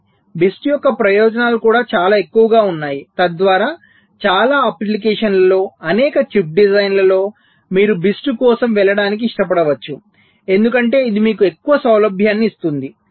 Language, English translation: Telugu, but the advantages of bist are also quite high, so that in many applications, many chip designs, you may prefer to go for bist because it gives you much higher convenience, reduction in test cost